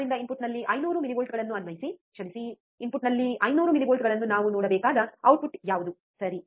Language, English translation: Kannada, So, applying 500 millivolts at the input, sorry, 500 millivolts at the input what is the output that we have to see, right